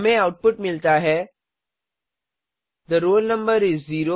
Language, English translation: Hindi, We get the output as The roll number is 0